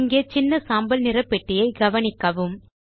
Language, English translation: Tamil, Here, notice the small gray box